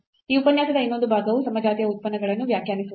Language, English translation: Kannada, So, another part of this lecture is to define the homogeneous functions